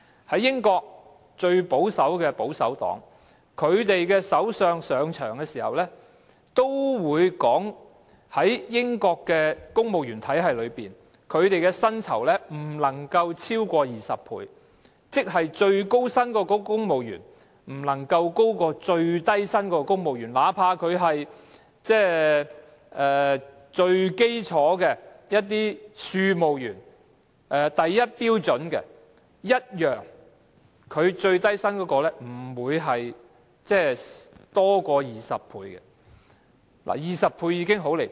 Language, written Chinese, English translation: Cantonese, 在英國，最保守的保守黨的首相上場時，也說到在英國的公務員體系中，薪酬的差距不能夠超過20倍，即最高薪的公務員的薪酬不能夠高於最低薪公務員薪酬的20倍，哪怕是與最基礎的庶務員相比，最高薪的公務員的薪酬不會多於最低薪公務員的20倍 ，20 倍其實已經十分離譜。, In the United Kingdom the Prime Minister of the most conservative Conservative Party said when assuming office that in the British civil service system the pay gap must be no more than 20 times meaning that the salaries of civil servants with the highest pay and those of civil servants with the lowest pay must be no more than 20 times apart . Even when a comparison is made with the most basic rank of a clerk the salaries of the highest - paid civil servants must not outweigh the salaries of the lowest - paid civil servants for more than 20 times though a difference of 20 times is already outrageous